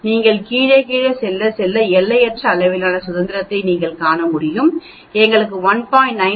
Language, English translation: Tamil, As you go down, down, down as you can see for infinite degrees of freedom we get 1